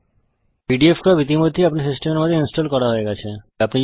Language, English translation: Bengali, pdfcrop is already installed in my system